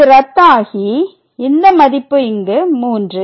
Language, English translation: Tamil, So, this gets cancelled and then this value here is nothing, but 3